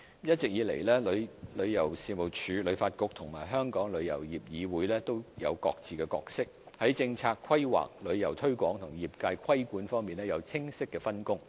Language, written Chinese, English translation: Cantonese, 一直以來，旅遊事務署、旅發局和香港旅遊業議會都有各自的角色，在政策規劃、旅遊推廣及業界規管方面有清晰的分工。, All along TC HKTB and the Travel Industry Council of Hong Kong have been performing separate roles with clear division of work in respect of formulating policies promoting tourism and regulating the industry